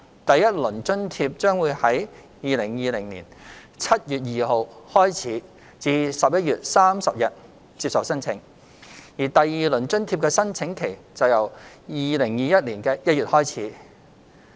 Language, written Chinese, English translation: Cantonese, 第一輪津貼將於2020年7月2日開始至11月30日接受申請；而第二輪津貼的申請期則由2021年1月開始。, Applications for the first round of subsidy will start on 2 July until 30 November 2020 . Applications for the second round of subsidy will commence in January 2021